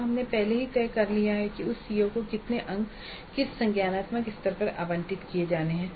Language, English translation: Hindi, Now we already have decided how many marks to be allocated to that COO at what cognitive levels